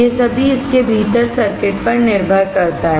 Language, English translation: Hindi, All these depends on the circuit within it